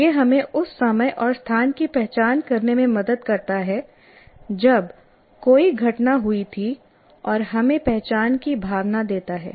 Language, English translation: Hindi, It helps us to identify the time and place when an event happened and gives us a sense of identity